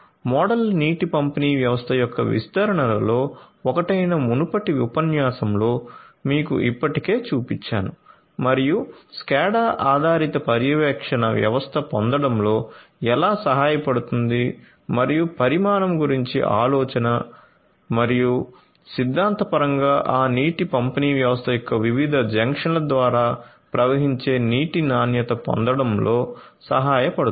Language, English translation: Telugu, So, I have already shown you in a previous lecture one of the deployments of a model water distribution system and how a scatter based monitoring system can help in getting and the idea about the quantity and also theoretically the quality of the water that is flowing through different junctions of that water distribution system